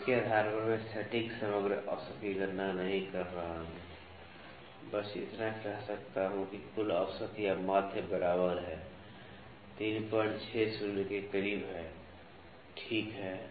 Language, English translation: Hindi, So, based on this I am not calculating the exact overall average I can just say that the overall average or the mean is equal to is close to 3